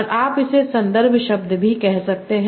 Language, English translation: Hindi, And you can also call that as the context words